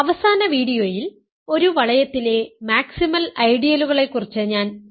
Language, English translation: Malayalam, In the last video, I talked about maximal ideals in a ring